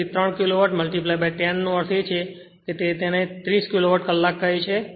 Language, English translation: Gujarati, So, 3 Kilowatt into 10 means it will be your what you call 30 Kilowatt hour right